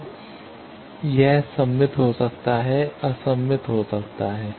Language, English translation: Hindi, Now, it can be symmetric, it can be antisymmetric